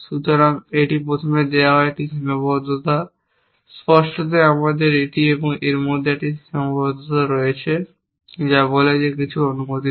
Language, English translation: Bengali, So, that is a constrain given to first, implicitly we have a constrain between this and this which says that anything is allowed